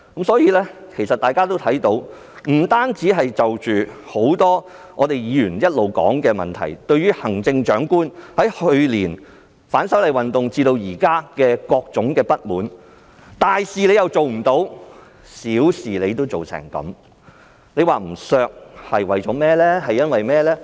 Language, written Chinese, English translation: Cantonese, 所以，大家也看到，除了很多議員一直討論的問題，行政長官由去年反修例運動至今亦引起各種不滿，大事她做不好，小事又做不好，為甚麼不削減她的薪酬呢？, Therefore as evident to all apart from the issues that many Members have been discussing the Chief Executive has caused grievances since the movement of opposition to the proposed legislative amendments last year . As she cannot effectively handle either big things or small things why should her salary not be deducted?